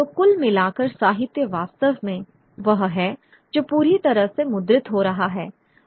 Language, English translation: Hindi, So altogether literature really is that which is getting printed a whole lot